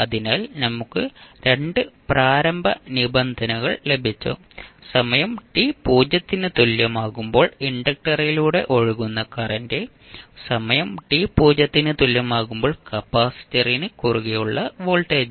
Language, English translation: Malayalam, So, we got 2 initial conditions current which is flowing through the inductor at time t is equal to 0 and voltage across capacitor at time t is equal to 0